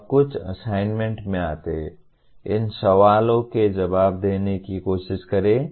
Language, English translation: Hindi, Now, coming to some assignments, try to answer these questions